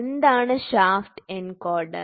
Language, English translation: Malayalam, What is shaft encoder